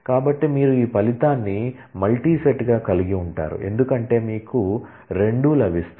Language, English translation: Telugu, So, you will have this result itself will be a multi set because you will get 2 as